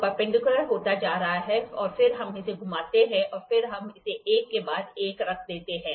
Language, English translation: Hindi, So, it is becoming perpendicular then we rotate it and then we put it one after it